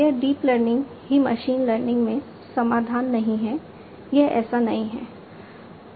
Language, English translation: Hindi, It is not the deep learning is the solution in machine learning, it is not like that, right